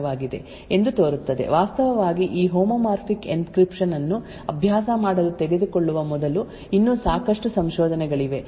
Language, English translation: Kannada, Now this seems like a very good solution for solving CRP problem in PUF, there are still a lot of research before actually taking this homomorphic encryption to practice